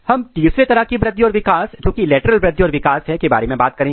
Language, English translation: Hindi, Now, the third growth and development which is lateral growth and lateral development